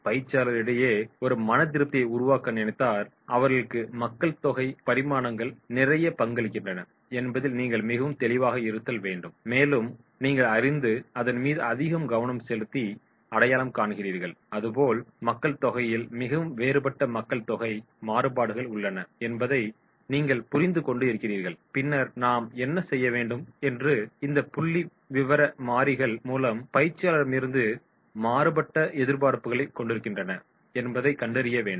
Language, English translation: Tamil, The demographic dimensions they contribute a lot to create a satisfaction amongst the trainees, so if you are very clear, you are aware, you focus, you identify and you understand that is there is demographic very different demographic variables are there and then we have to find out that is how these demographic variables will be having different expectations from the trainer